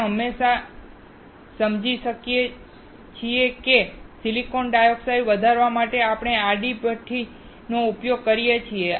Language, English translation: Gujarati, We just understand that for growing the silicon dioxide, we use horizontal tube furnace